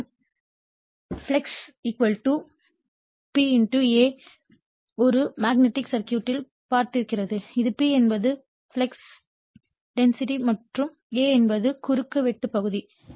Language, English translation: Tamil, You know flux = B * A you have seen in a magnetic circuit this is B is the flux density and A is the cross sectional area